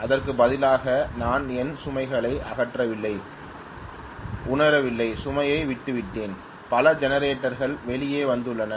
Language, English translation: Tamil, Rather than that I have not removed my load, I have just left my load I have not realize that so many generators have comed out right